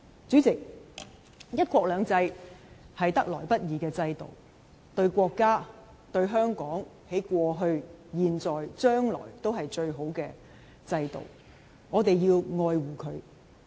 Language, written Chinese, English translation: Cantonese, 主席，"一國兩制"是得來不易的制度，對國家、對香港在過去、現在、將來均是最好的制度，我們要愛護這制度。, President one country two systems is a system that is hard to come by one that is the best for the country and for Hong Kong in the past at present and in the future . We ought to cherish this system